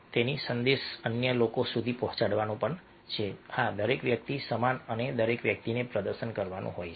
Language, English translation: Gujarati, so the message should go to others that, yes, everybody is equal and everybody's supposed to perform